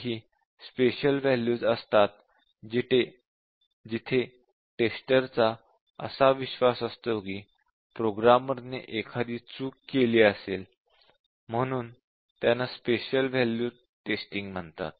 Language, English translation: Marathi, So those are special value, where he believes that the programmer would have made a mistake so that is called a special value testing